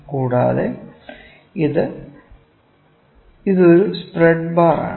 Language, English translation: Malayalam, And, this is a spread bar